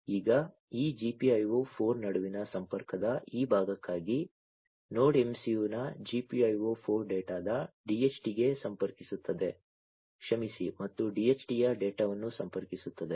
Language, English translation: Kannada, Now, for this part for this part of connection between this GPIO 4 so, GPIO 4 of Node MCU connects to the DHT of data and sorry the data of the DHT